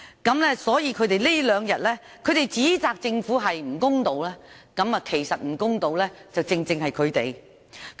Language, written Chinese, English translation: Cantonese, 反對派這兩天指責政府不公道，其實不公道的正是他們。, These two days the opposition camp accused the Government of being unfair but they have actually been unfair